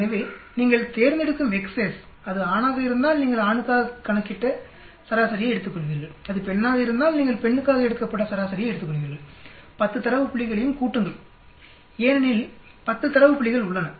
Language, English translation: Tamil, So the X s you select, if it is for male you will take the average which you calculated for male, if it is the female you will take the average from the female, summation over 10 data points, because there are 10 data points